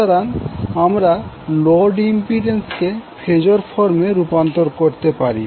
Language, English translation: Bengali, So the load impedance you can convert it into phasor form so it will become 8